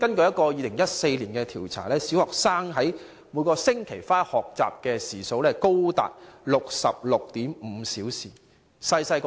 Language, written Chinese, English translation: Cantonese, 根據2014年的一項調查，小學生每星期花在學習的時數高達 66.5 小時。, According to a survey conducted in 2014 primary students could spend up to 66.5 hours a week on learning